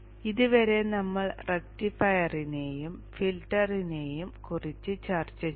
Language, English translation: Malayalam, Till now we have discussed about the rectifier and filter